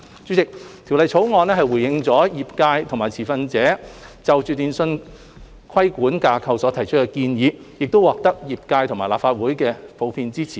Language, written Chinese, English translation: Cantonese, 主席，《條例草案》回應了業界和持份者就電訊規管架構所提出的建議，亦獲業界和立法會普遍支持。, President the Bill has responded to the suggestions made by the industry and stakeholders on the telecommunications regulatory framework and won general support from the industry and the Legislative Council